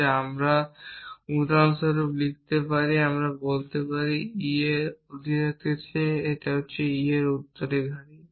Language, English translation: Bengali, Then I can write statements for example, I can say successor of e greater than successor of successor of e